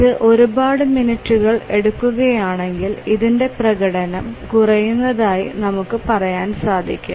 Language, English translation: Malayalam, If it takes minutes, several minutes and so on then we say that the performance has degraded